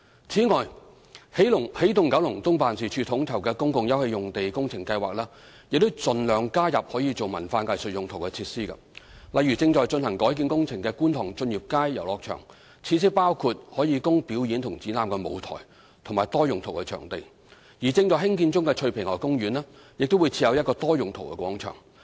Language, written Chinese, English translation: Cantonese, 此外，起動九龍東辦事處統籌的公共休憩用地工程計劃已盡量加入可作文化藝術用途的設施，例如正進行改建工程的觀塘駿業街遊樂場，設施包括可供表演及展覽的舞台和多用途場地，而正在興建中的翠屏河公園亦將設有一個多用途廣場。, Besides the public open space projects coordinated by the Energizing Kowloon East Office EKEO have already incorporated as many cultural and arts facilities as possible . For example in Tsun Yip Street Playground at Kwun Tong which is currently under conversion works the facilities will include a stage and a multipurpose venue for performance and exhibition purposes . And in Tsui Ping River Garden which is now under construction there will be a multipurpose square